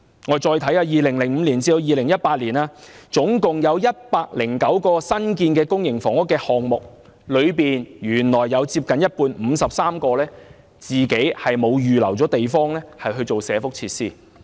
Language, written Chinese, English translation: Cantonese, 我們再看看 ，2005 年至2018年總共有109個新建的公營房屋項目，當中原來有接近一半沒有預留地方作社福設施。, Let us take a further look . Among the 109 new public housing projects in 2005 to 2018 nearly half of them 53 projects have not reserved any space for welfare facilities